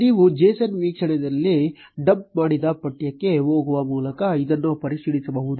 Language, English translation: Kannada, You can check this by going to the text, which you dumped in the json viewer